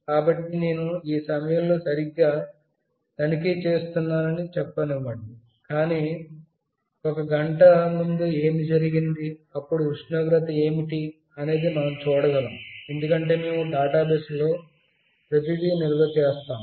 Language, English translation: Telugu, So, you can also find out let us say I am checking right at this moment, but what happened to one hour before, what was the temperature that also we can see, because we have stored everything in the database